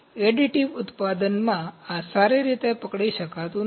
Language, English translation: Gujarati, In additive manufacturing, this does not hold good